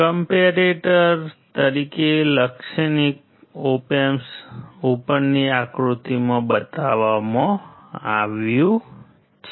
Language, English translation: Gujarati, A typical op amp as comparator is shown in figure above